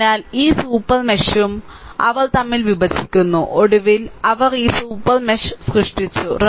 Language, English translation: Malayalam, So, this super mesh and this super mesh they intersect, right, finally, they created the, this super mesh